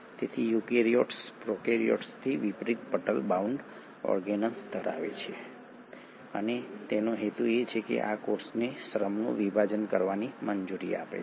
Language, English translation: Gujarati, So the eukaryotes unlike the prokaryotes have membrane bound organelles, and the purpose is this allows the cell to have a division of labour